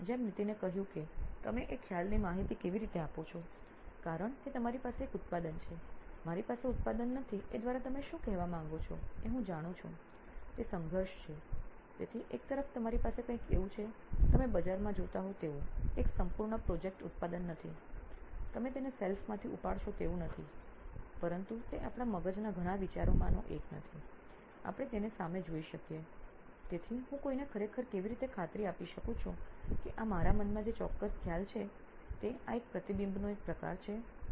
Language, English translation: Gujarati, And to para phrase what Nitin said how do you communicate the concept because you have a product I mean you do have I know what do you mean by I do not have a product it is a conflict, so on the one hand you have something like a prototype it is not a full fledge product like you would see in the market, you pick it up of the shelf it is not that, but neither is it an idea that in one of our heads or in shared concept, we can see it in the front, so how do I really convince somebody that this is the exact concept I have in my mind, this is just a sort of reflection of that